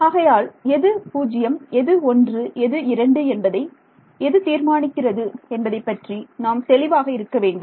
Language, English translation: Tamil, So, let us be very clear what determines which one is 0, which one is 1 which one is 2